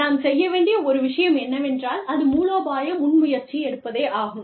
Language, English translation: Tamil, One thing, that we can do is, taking a strategic initiative